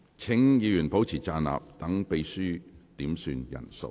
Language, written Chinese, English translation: Cantonese, 請議員保持站立，讓秘書點算人數。, Will Members please remain standing to allow the Clerk to do a headcount